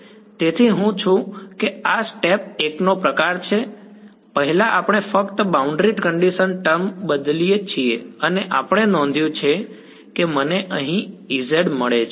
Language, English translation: Gujarati, So, I am just this is sort of step 1 first we just change the boundary condition term and we notice that I get a E z over here ok